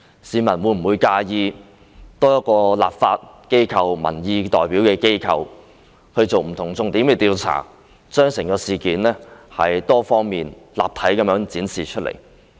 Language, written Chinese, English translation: Cantonese, 市民會否介意多一個作為民意代表的立法機關作不同重點的調查，把整件事多方面、立體地展示出來？, Do members of the public mind having an additional inquiry with a different focus conducted by the legislature which is representative of public opinions so that the whole issue can be presented from multiple perspectives and in full dimensions?